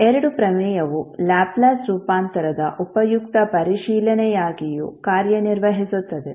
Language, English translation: Kannada, And these two theorem also serve as a useful check on Laplace transform